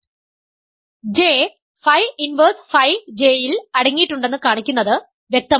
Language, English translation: Malayalam, So, to show that J is contained in phi inverse phi J is clear